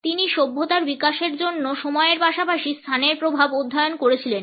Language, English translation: Bengali, He studied the impact of time as well as space for the development of civilization